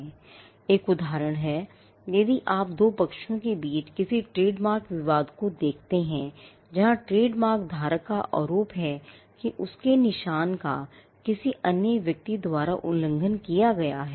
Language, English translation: Hindi, Now one instance is, if you look at any trademark dispute between two parties where, trademark holder alleges that his mark has been infringed by another person